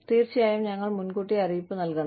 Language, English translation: Malayalam, And, you know, of course, we have to give, advance notice